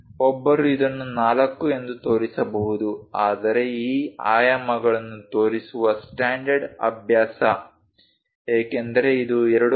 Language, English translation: Kannada, One can also show this one as 4, but the standard practice of showing these dimensions because this 2